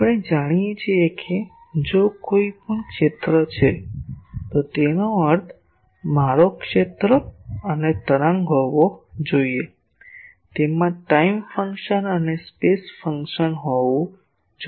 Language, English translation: Gujarati, We know that if anything is a field it should have I mean a field and wave; it should have a time function as well as a space function